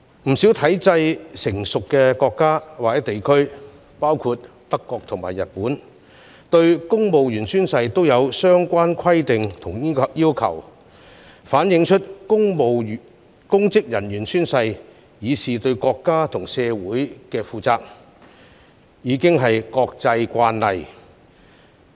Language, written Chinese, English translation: Cantonese, 不少體制成熟的國家或地區，包括德國和日本，對公務員宣誓也有相關規定和要求，反映公職人員宣誓以示對國家和社會負責，早已是國際慣例。, In countries or places with well - established regimes including Germany and Japan rules and requirements are in place to regulate the oath - taking of civil servants . This shows that it has long been an international practice for public officers to swear responsibility for their country and society